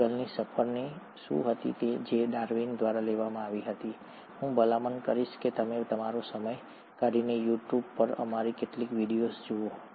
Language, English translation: Gujarati, What was the voyage of Beagle which was taken by Darwin, I would recommend that you take your time out and go through some of these videos on You tube